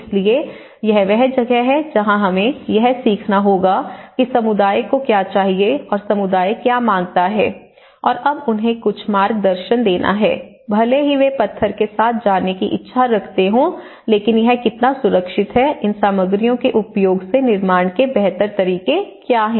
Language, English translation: Hindi, So, this is where we have to learn that what community needs and what community demands and now to give them some guidance even if they are wishing to go with the stone how safe it is but what are the better ways to construct and what are the rightful ways to construct using these materials